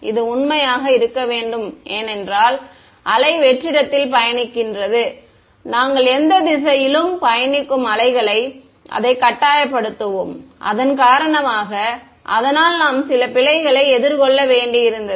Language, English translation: Tamil, Saying that it should hold true for a wave traveling in vacuum, we will force it on wave traveling in any direction and we will suffer some error because of that